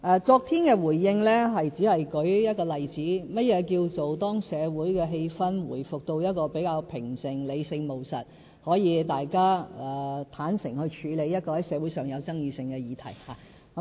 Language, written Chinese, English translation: Cantonese, 昨天的回應，我只是舉一個例子，說明何謂"當社會氣氛回復到相對平靜、理性務實時，大家可以坦誠地處理社會上具爭議性的議題"。, My reply yesterday is just meant as an example to show that we can candidly handle the contentious issues in society only when society regains an atmosphere of relative calmness and pragmatism